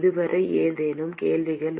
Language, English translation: Tamil, Any questions so far